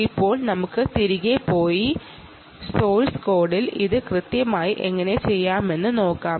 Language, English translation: Malayalam, ok, now let us go back and see what exactly how exactly this is done in source code